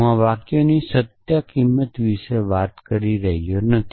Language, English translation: Gujarati, I am not talking about the truth value of these sentences